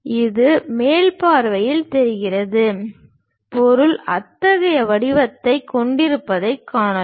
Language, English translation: Tamil, It looks like in the top view, we can see that the object has such kind of shape